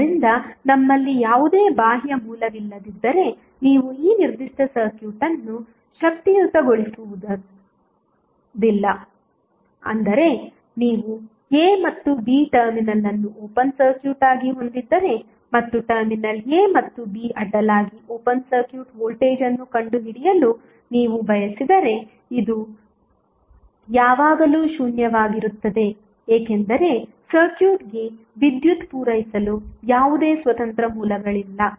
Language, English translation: Kannada, So, until unless we have any external source you cannot energies this particular circuit that means that if you are having the a and b terminal as open circuited and you want to find out the open circuit voltage across terminal a and b this will always be zero because there is no independent source to supply power to the circuit